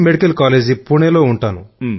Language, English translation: Telugu, Medical College, Pune